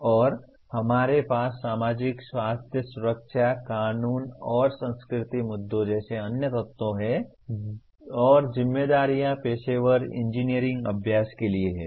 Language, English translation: Hindi, And we have other elements like societal health, safety, legal and cultural issues and the responsibilities are to the professional engineering practice